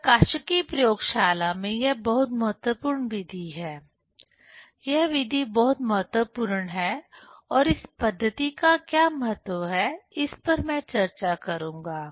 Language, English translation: Hindi, This is very important method in optics laboratory; this method is very important and what is the importance of this method that I will discuss